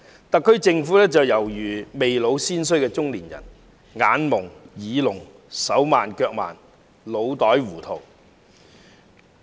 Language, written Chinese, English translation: Cantonese, 特區政府猶如"未老先衰"的中年人，眼矇、耳聾、手慢腳慢，腦袋糊塗。, The SAR Government is like a middle - aged person who has aged prematurely . Its eyes are dim - sighted; its ears are deaf; its limbs are clumsy and its mind muddled